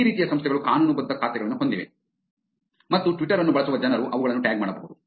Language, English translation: Kannada, These kinds of organizations have legitimate accounts and people using Twitter can tag them